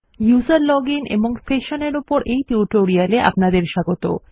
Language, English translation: Bengali, Welcome to the tutorial on user login and sessions